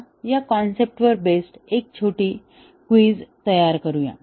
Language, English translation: Marathi, Now, let us work out a small quiz, based on this concept